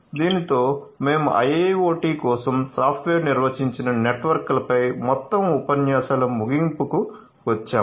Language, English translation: Telugu, So, with this we come to an end of the entire lectures on software defined networks for a IIoT